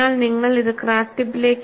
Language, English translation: Malayalam, So, you have to shift it to the crack tip